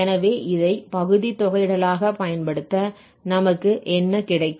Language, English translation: Tamil, So, integrating this by parts, what we will have